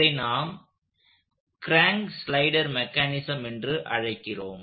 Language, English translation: Tamil, This is what we will call crank slider mechanism